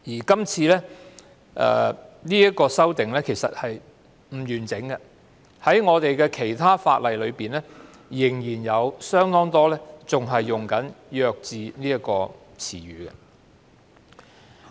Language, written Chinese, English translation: Cantonese, 這項修訂其實並不完整，因為在其他法例中，很多條文仍會使用"弱智"一詞。, The amendment is in fact incomplete because the term defective is still being used in many provisions of other laws